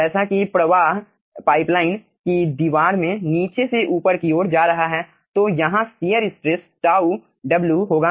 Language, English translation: Hindi, okay, as the flow is from bottom to top in the wall of the pipeline there will be shear stress, tau w